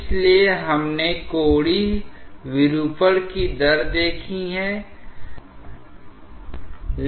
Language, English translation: Hindi, So, that is also an aspect of angular deformation